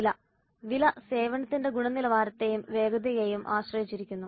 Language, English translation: Malayalam, The price depends on quality and quickness of the service performance